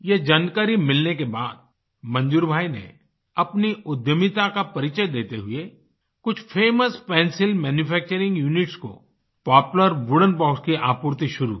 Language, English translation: Hindi, After getting this information, Manzoor bhai channeled his entrepreneurial spirit and started the supply of Poplar wooden boxes to some famous pencil manufacturing units